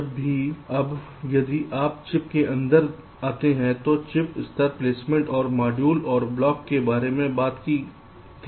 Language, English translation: Hindi, well now, if you go inside the chip chip level placement, you talked about the modules and the blocks